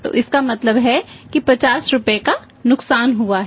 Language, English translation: Hindi, So, here means there is a loss of 50 rupees sorry loss of 50 rupees